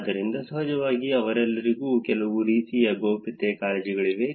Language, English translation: Kannada, So, of course, all of them have some sort of privacy concerns too